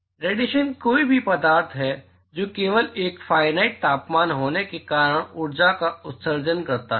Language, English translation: Hindi, So, radiation is any matter emits energy simply by the virtue of having a finite temperature